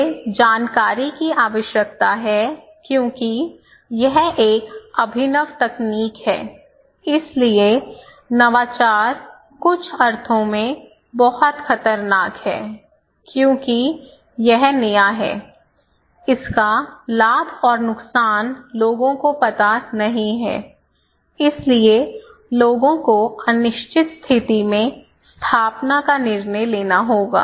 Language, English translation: Hindi, So, I need information because this is a new, no one before tried this one, this is an innovative technology so, innovation is also very dangerous in some sense because this is new and as it is new, its advantage and disadvantages are not known to the people, so people have no idea, they have to make decision of adoption, decision of installation in an uncertain situation, right